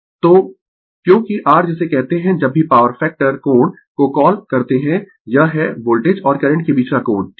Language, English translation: Hindi, So, because the your what you call whenever you call power factor angle means it is the angle between the voltage and the current right